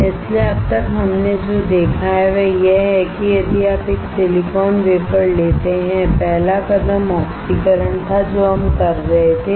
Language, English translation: Hindi, So, until now what we have seen is that if you take a silicon wafer the first step that we were performing was oxidation